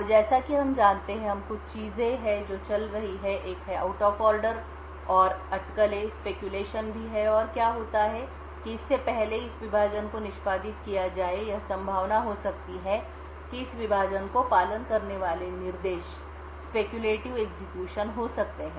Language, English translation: Hindi, Now as we know there are a couple of things which are going on, one is the out of order and also the speculation and what happens is that even before this divide gets executed it may be likely that the instructions that follow this divide may be speculatively executed